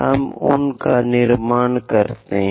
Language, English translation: Hindi, Let us construct those